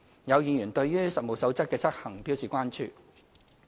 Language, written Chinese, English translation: Cantonese, 有議員對於《職業介紹所實務守則》的執行表示關注。, Some Members expressed concern about the implementation of the Code of Practice for Employment Agencies the Code